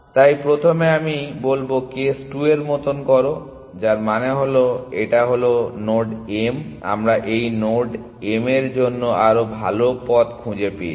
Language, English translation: Bengali, So, first I will say do like in case 2, which means that this node m we have found a better path to this node m